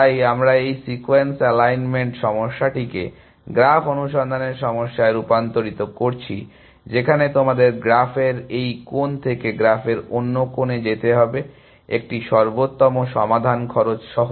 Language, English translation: Bengali, So, we are transforming this problem of sequence alignment into a graph search problem, where you have to go from this corner of the graph to the other corner of the graph with a optimal solution cost essentially